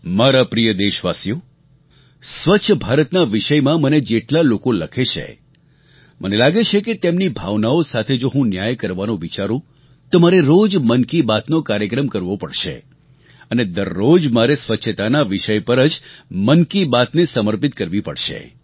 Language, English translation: Gujarati, My dear countrymen, a multitude of people write to me about 'Swachch Bharat', I feel that if I have to do justice to their feelings then I will have to do the program 'Mann Ki Baat' every day and every day 'Mann Ki Baat' will be dedicated solely to the subject of cleanliness